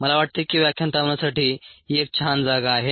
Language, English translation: Marathi, i think this is a nice place to stop lecture five